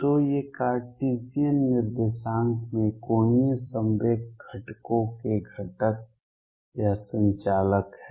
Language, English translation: Hindi, So, these are the components or the operators of angular momentum components in Cartesian coordinates